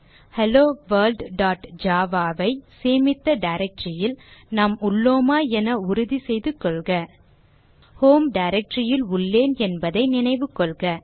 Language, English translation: Tamil, Make sure that you are in the directory where you save your HelloWorld.java Remember that I am in my home directory